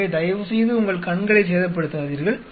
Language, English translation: Tamil, So, do not damage your eyes please